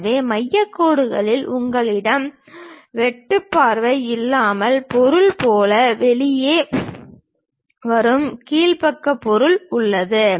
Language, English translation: Tamil, So, from center line you have the bottom back side object which really comes out like a material without any cut view